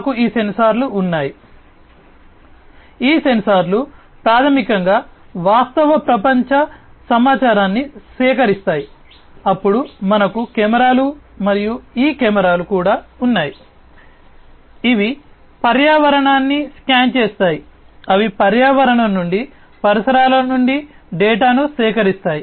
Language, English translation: Telugu, We have sensors; these sensors basically are the ones that gather real world information, then we have also the cameras and these cameras they scan the environment, they collect the data from the environment, from the surroundings